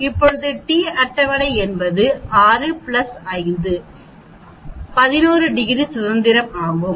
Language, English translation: Tamil, Now t table is how many degrees of freedom 6 plus 5 is 11